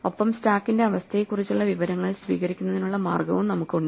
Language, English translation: Malayalam, And we have the way to receive information about the state of the stack